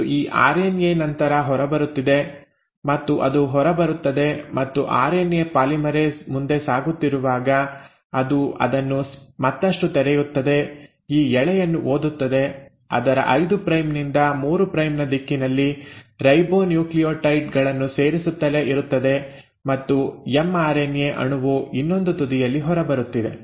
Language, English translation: Kannada, And this RNA is then coming out and it pulling out and as RNA polymerase is moving forward it further unwinds it, reads this strand, keeps on adding the ribonucleotides in its 5 prime to 3 prime direction and the mRNA molecule is coming out at the other end